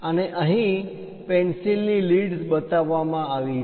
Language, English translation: Gujarati, And here the pencil leads are shown